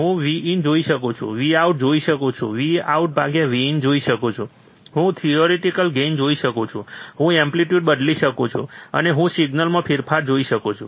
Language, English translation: Gujarati, I can see V in I can see V out I can see V out by V in, I can see theoretical gain, I can change the amplitude, and I can see the change in signal